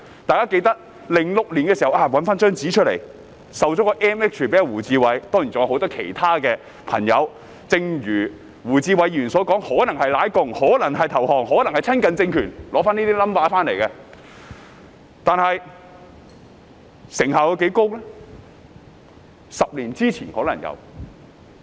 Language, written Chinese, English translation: Cantonese, 大家記得，政府在2006年頒授 MH 予胡志偉議員，正如胡志偉議員所說，可能是"舔共"、可能是投降、可能是親近政權，才取得這些勳銜，但是成效有多高呢？, As everyone remembers the Government awarded a Medal of Honour MH to Mr WU Chi - wai in 2006 . According to Mr WU Chi - wai receiving such an honour could mean sucking up to the communist party surrendering or fawning over the political regime . Yet how effective was it?